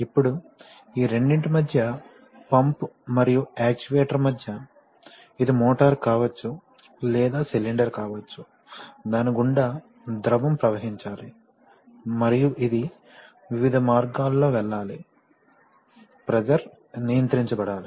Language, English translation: Telugu, Now in between these two, that is where the, between the pump and the actuator, which can be a motor or which can be a cylinder, the fluid has to pass and there are, it has to pass in various ways, pressure has to be controlled